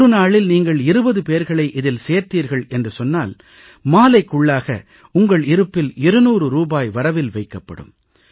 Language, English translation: Tamil, If you involve twenty persons in a day, by evening, you would've earned two hundred rupees